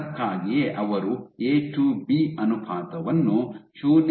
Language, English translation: Kannada, So, that is why and they had A to B ratio of 0